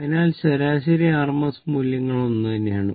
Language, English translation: Malayalam, So, that the average and the rms values are the same right